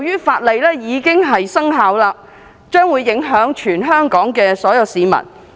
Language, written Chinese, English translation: Cantonese, 法律現已生效，將會影響全港所有市民。, Now that the law has already taken effect it will affect all people in Hong Kong